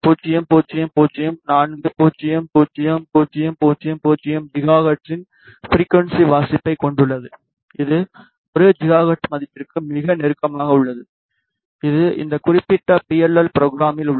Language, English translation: Tamil, 000400000 gigahertz which is very very close to the 1 gigahertz value which has in program in this particular PLL